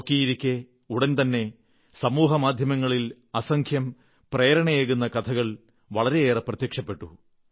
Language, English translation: Malayalam, And within no time, there followed a slew of innumerable inspirational stories on social media